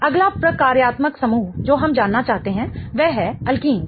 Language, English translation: Hindi, The next functional group that we want to know is that of the alkenes